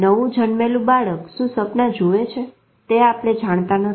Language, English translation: Gujarati, What is the newborn dreaming we don't know